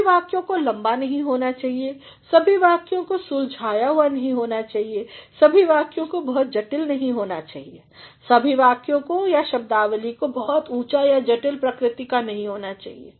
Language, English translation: Hindi, Not all the sentences should be long, not all the sentences should be solved, not all the sentences should be too complicated, not all the words or the vocabulary should be very of high order or of a complicated nature